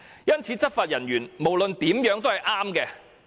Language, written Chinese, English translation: Cantonese, 因此，內地執法人員無論如何都是對的。, Therefore Mainland law enforcement agents are always rights under all circumstances